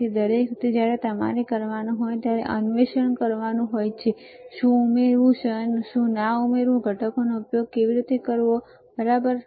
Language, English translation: Gujarati, So, every time when you have to do you have to explore, what to add what not to add how to use the components, right